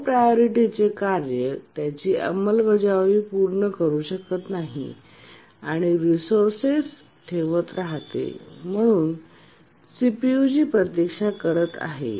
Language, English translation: Marathi, The low priority task cannot complete its execution, it just keeps on holding the resource and waits for the CPU